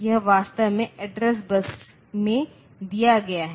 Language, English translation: Hindi, So, that is actually given in the address bus